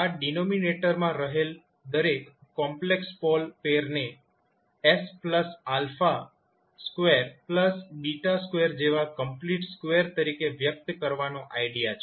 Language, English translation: Gujarati, This is the idea to express the each complex pole pair in the denominator as a complete square such as s plus alpha squared plus beta square